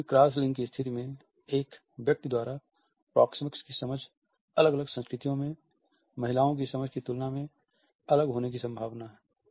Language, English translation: Hindi, The understanding of proxemics by a man in any cross gender situation is likely to be different in different cultures in comparison to how a women understands it